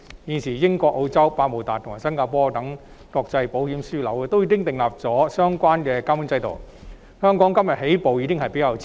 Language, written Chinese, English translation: Cantonese, 現時，英國、澳洲、百慕達及新加坡等國際保險業樞紐均已訂立相關的監管制度，香港今天才起步，已算是較遲了。, At present international insurance hubs such as the United Kingdom Australia Bermuda and Singapore have already put in place relevant supervisory regimes and it is already a bit late for Hong Kong to make a start today